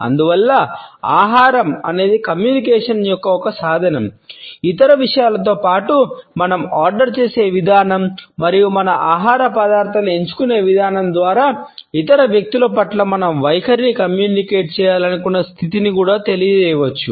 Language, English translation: Telugu, And therefore, food is a means of communication which among other things can also convey the status we want to communicate our attitude towards other people by the manner in which we order and we select our food items